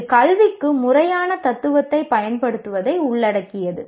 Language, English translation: Tamil, It involves the application of formal philosophy to education